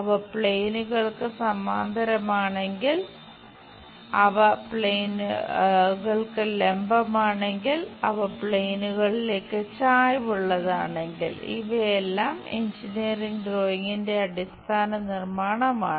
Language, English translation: Malayalam, If they are parallel to the planes, if they are perpendicular to the planes, and if they are inclined to the planes these are the basic construction for any engineering drawing